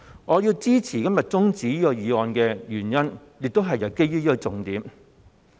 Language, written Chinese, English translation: Cantonese, 我要支持今天中止待續議案的原因，亦都是基於這個重點。, The reason why I support todays adjournment motion also hinges on this essential point